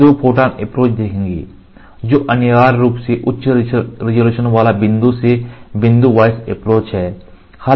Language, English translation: Hindi, We will see Two photon approach that are essentially high resolution point by point approach